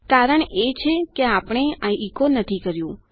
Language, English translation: Gujarati, The reason is that we havent echoed this out